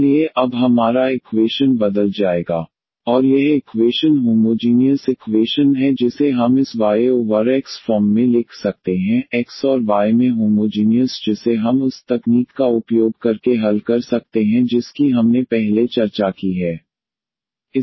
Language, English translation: Hindi, So, our equation will convert now dY over dX in to aX plus bY, a prime X plus by b prime Y and this equation is homogeneous equation which we can write in this Y over X form, homogeneous in X and Y which we can solve using the technique which we have discussed earlier